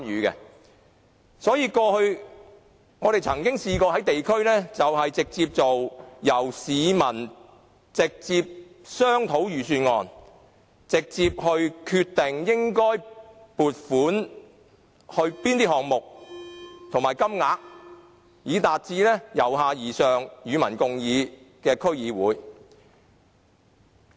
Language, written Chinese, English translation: Cantonese, 因此，過去我們曾經在地區直接與市民商討預算案，決定應為哪些項目撥款及有關金額為何，以達致由下而上、與民共議的區議會。, For this reason we have directly discussed the budget with members of the public in the districts before in deciding which projects should be financed and what the amounts should be so that DCs can achieve public engagement in a bottom - up approach